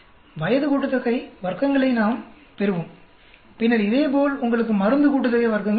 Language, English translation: Tamil, We will get age sum of squares, then similarly you got drug sum of squares